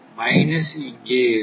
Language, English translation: Tamil, So, this is minus 0